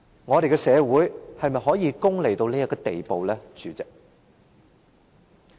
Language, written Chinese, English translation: Cantonese, 我們的社會是否可以功利至這個地步，代理主席？, Has society degenerated to such a state that it allows material gains to take command Deputy President?